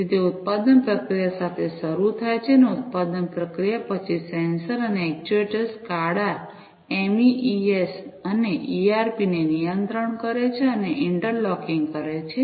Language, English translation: Gujarati, So, it starts with the production process; production process, then the sensors and the actuators control and interlocking SCADA, MES, and ERP